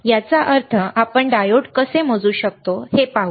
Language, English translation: Marathi, that means, we will see how we can measure the diode also